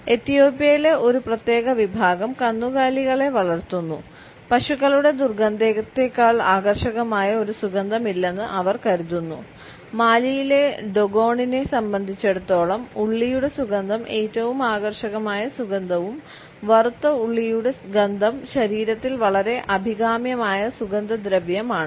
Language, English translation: Malayalam, A particular section in Ethiopia, which raises cattles, finds that there is no scent which is more attractive than the odor of cows, for the Dogon of Mali the scent of onion is the most attractive fragrance and there are fried onions all over their bodies is a highly desirable perfumes